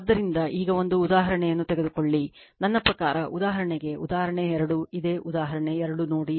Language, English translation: Kannada, So, now take one example, I mean for example, you please see the example 2, same example 2 you just see